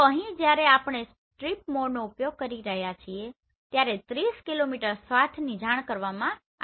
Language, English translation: Gujarati, So here when we are using strip mode this 30 kilometer swath has been reported